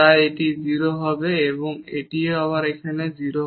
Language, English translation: Bengali, So, this will be 0 and this is again here 0